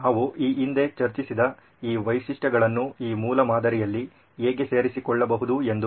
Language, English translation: Kannada, How these features we have discussed previously can be incorporated into this prototype